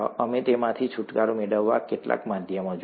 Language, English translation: Gujarati, We looked at some means of getting rid of them